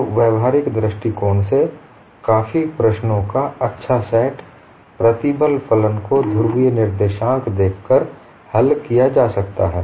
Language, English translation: Hindi, So from a practical point of view, quite a nice set of problems could be solved by looking at the stress function in polar co ordinates